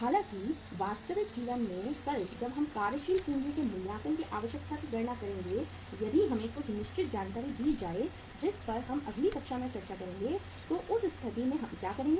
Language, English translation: Hindi, However, when tomorrow in the real life when we will calculate the assessment of working capital requirement if we are given certain information which we will discuss in the next class so in that case what we will do